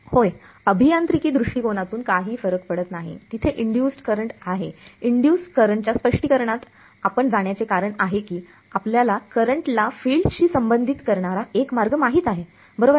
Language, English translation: Marathi, Yeah, from an engineering point of view does not matter there is induced the reason why we will go with the interpretation of induced current is because we know a way of relating field to current right